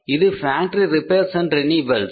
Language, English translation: Tamil, This is the factory repair and renewal